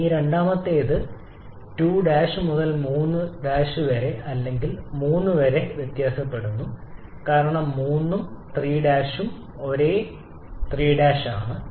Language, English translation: Malayalam, This particular one varies from 2 prime to 3 prime or 3 because 3 and 3 prime both are same 3 prime